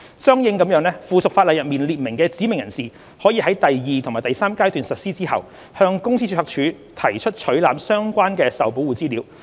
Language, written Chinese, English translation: Cantonese, 相應地，附屬法例中列明的"指明人士"可於第二及第三階段實施後，向公司註冊處提出取覽相關的受保護資料。, Correspondingly specified persons listed in the subsidiary legislation may apply to the Company Registry for access to the relevant Protected Information upon the commencement of Phases 2 and 3